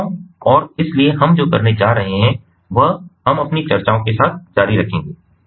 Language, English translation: Hindi, so what we are going to do is we will continue with our discussions